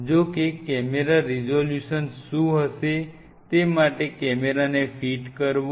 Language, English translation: Gujarati, However, going to fit the camera want will be the camera resolution what